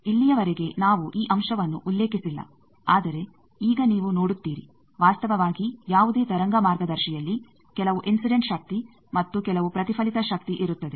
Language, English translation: Kannada, Till now we have not mentioned this point, but now you see that in actually any wave guide there is some incident power and some reflected power